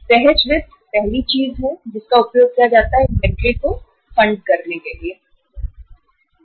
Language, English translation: Hindi, Now spontaneous finance is the first thing which is used to fund the inventory